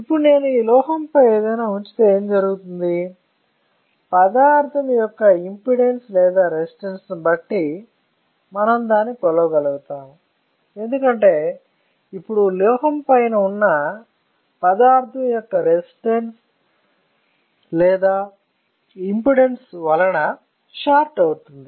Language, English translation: Telugu, Now, if I place anything on this metal what will happen, depending on the impedance or resistance of the material we will be able to measure it; because now this metal will start it is shorted with the resistance or impedance of the material, is not it